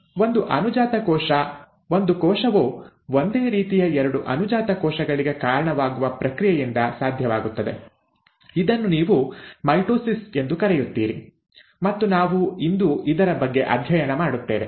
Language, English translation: Kannada, Now that process by which one daughter cell, one cell gives rise to two identical daughter cells is what you call as the mitosis and we will study about this today